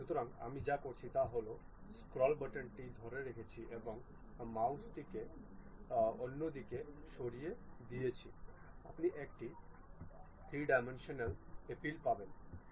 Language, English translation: Bengali, So, what I am doing is click that scroll button hold it and move your mouse here and there, you will get the 3 dimensional appeal